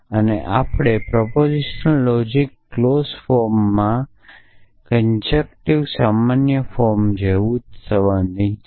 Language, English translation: Gujarati, And we are concerned in proposition logic clause form is the same as conjunctive normal form